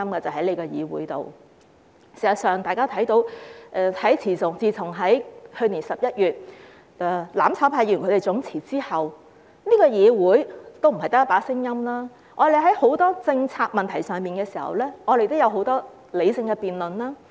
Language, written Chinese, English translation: Cantonese, 事實上，大家看到，自從去年11月"攬炒派"議員總辭後，這個議會也不是只有一把聲音，我們在很多政策問題上，也有很多理性的辯論。, In fact as we can see since the resignation en masse of Members from the mutual destruction camp in November last year there has been not only one voice in this Council and we have had many rational debates on many policy issues